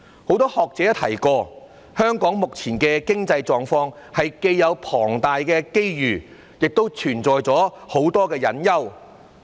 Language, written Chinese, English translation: Cantonese, 很多學者也提過，香港目前的經濟狀況是既有龐大機遇，亦存在很多隱憂。, Many scholars have also pointed out that Hong Kongs present economic situation is such that there are great opportunities but many potential problems also exist